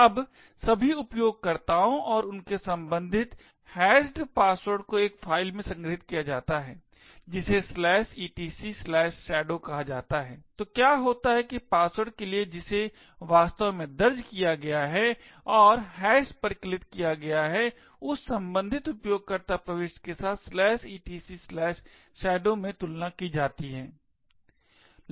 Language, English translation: Hindi, Now all users and their corresponding hashed passwords are stored in a file called etc/shadow, so what happens is that for the password that is actually entered, and hash computed this is compared with the corresponding user entry in the/etc /shadow